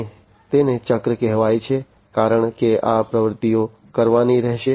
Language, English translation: Gujarati, And it is called a cycle because these activities will have to be done